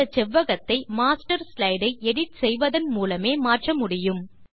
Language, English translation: Tamil, This rectangle can only be edited using the Master slide